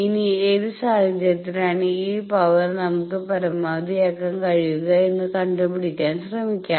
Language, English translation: Malayalam, Now, let us do the try to find out under what condition this power can be maximized